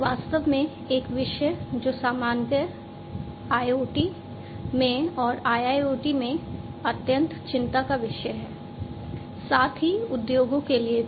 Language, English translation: Hindi, In fact, a topic, which is of utmost concern in IoT, in general and IIoT, as well for the industries